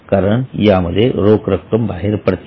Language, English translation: Marathi, Because there is an outflow of cash